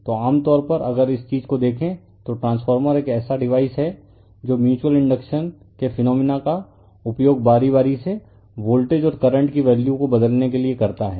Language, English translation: Hindi, So, generally if you look at the this thing a transformer is a device which uses the phenomenon of mutual induction to change the values of alternating voltages and current right